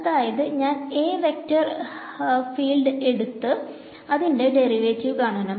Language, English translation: Malayalam, So, it is I have to take the vector field A and then take its derivative